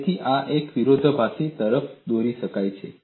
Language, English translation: Gujarati, So, this leads to a contradiction